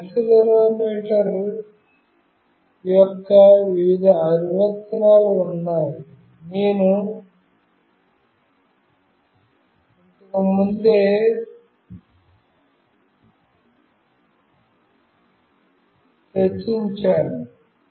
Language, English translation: Telugu, There are various applications of this accelerometer, I have already discussed previously